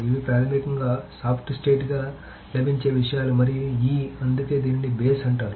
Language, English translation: Telugu, So these are the things it is basically available soft state and E that's why it's called base